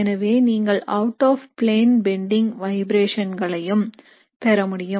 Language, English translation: Tamil, So you can also have what are called as out of plane bending vibrations